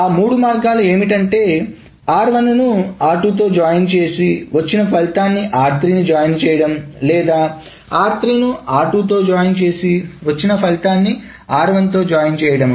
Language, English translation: Telugu, Either it is r1 joined with r2 that is joined with r3 or it is r2 joined with r3 or it is R2 joined with R3 and that is joined with R1